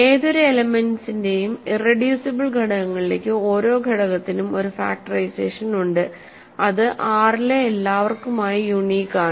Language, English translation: Malayalam, So, that every element has a factorization into irreducible factorizations of any element is unique for all a in R